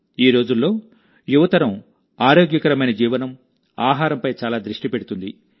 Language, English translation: Telugu, Nowadays, the young generation is much focused on Healthy Living and Eating